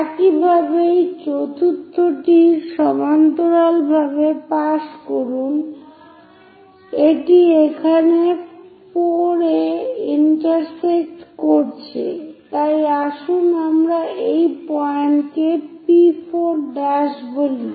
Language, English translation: Bengali, Similarly, pass parallel to this fourth one it intersects on 4 here so let us call P4 prime